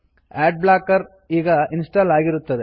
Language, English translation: Kannada, Ad blocker is now installed